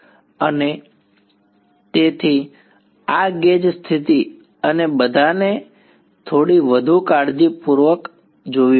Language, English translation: Gujarati, And so, this gauge condition and all has to be seen little bit more carefully